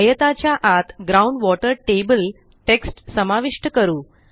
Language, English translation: Marathi, Lets insert the text Ground water table inside the rectangle